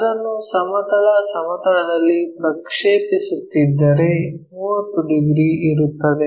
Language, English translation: Kannada, So, if I am projecting that onto horizontal plane there is a 30 degrees thing